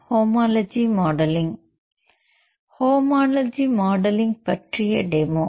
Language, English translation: Tamil, Demo on Homology Modeling